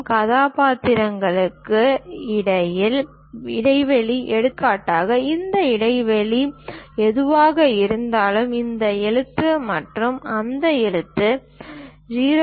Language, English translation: Tamil, Spacing between characters; for example, this character and that character whatever this spacing that has to be used 0